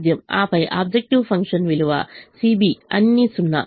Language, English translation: Telugu, and then the objective function value c b is all zero